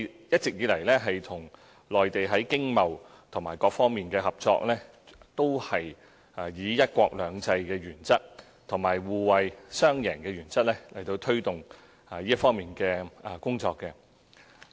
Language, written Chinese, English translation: Cantonese, 一直以來，我們與內地在經貿和各方面的合作，均按"一國兩制"和互惠雙贏的原則來推動這方面的工作。, All along we have been promoting cooperation with the Mainland in economic trade and other aspects under one country two systems and the principle of attaining mutual benefits